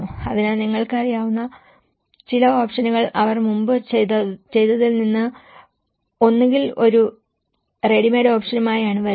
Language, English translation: Malayalam, So, some of the options you know that they come with a ready made options either from what they have already done before